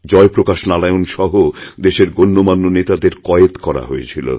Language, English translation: Bengali, Several prominent leaders including Jai Prakash Narayan had been jailed